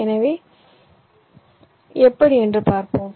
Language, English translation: Tamil, so let see how